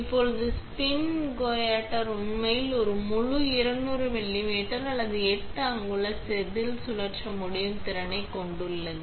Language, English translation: Tamil, Now, the spin coater has the capability for actually being able to spin a full 200 millimeter or 8 inch wafer